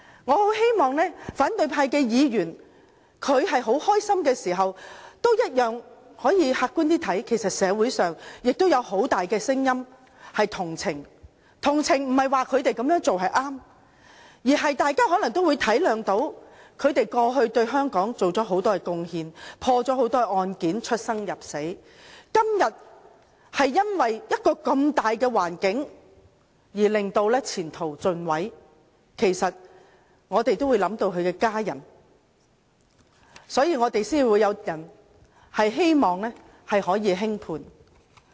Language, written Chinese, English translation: Cantonese, 我希望反對派議員在高興之餘，也可以客觀地看看，其實社會上也有很大的同情聲音，所謂同情並非認為他們那樣做是正確，而是大家可能體諒他們過去對香港作出很多貢獻，破了很多案件，出生入死，今天卻因為一個如此的大環境而前途盡毀，其實我們都會想到他們的家人，所以才有人希望可以輕判。, I hope Members of the opposition camp instead of simply feeling pleased can see objectively that there are voices of sympathy in society but sympathy does not mean recognizing what the police officers did was right . It means that we are aware of their past contribution to Hong Kong that they had solved many cases that they had risked their lives and that their future is ruined under such circumstances today . We think of their families so some have called for lenient sentences